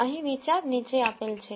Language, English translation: Gujarati, The idea here is the following